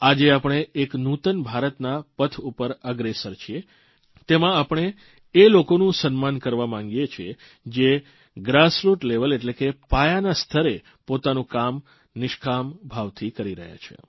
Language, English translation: Gujarati, Today as we head towards a new India, in which we want to honour those who are doing their work at the grassroot level without any care for a reward